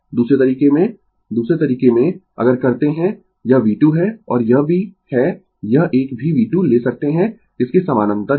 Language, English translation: Hindi, In other way in other way, if you do this is V 2 , and this is also this one also you can take V 2 this parallel to this, right